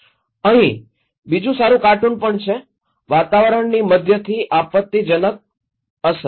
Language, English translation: Gujarati, Here, is another good cartoon also, like climate impact range from moderate to catastrophic